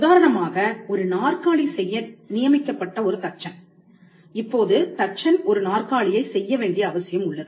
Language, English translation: Tamil, For instance, a carpenter who is assigned to make a chair; Now, the carpenter is mandated to make a chair